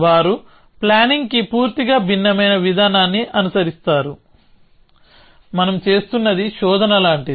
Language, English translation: Telugu, So, they follow a entirely different approach to planning, what we are doing is something like search